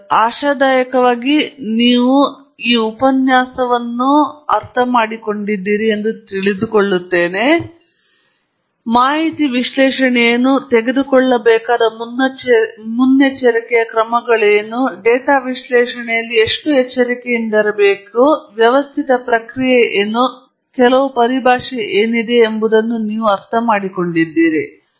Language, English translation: Kannada, So, hopefully you enjoyed the lecture and you understood at least what is data analysis all about, what precautionary steps that you have to take, and how careful you have to be in data analysis, what is the systematic procedure, and some terminology